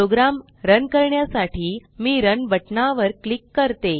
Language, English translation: Marathi, Let me click on the Run button to run the program